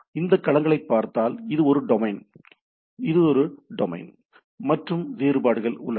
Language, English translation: Tamil, Now, if we look at these domains; so, this is a domain, this is a domain, this is a domain and there are difference